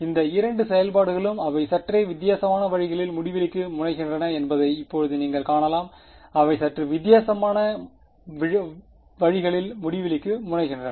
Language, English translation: Tamil, Now you can see that these both these functions they tend to infinity in slightly different ways right, they tend to infinity in slightly different ways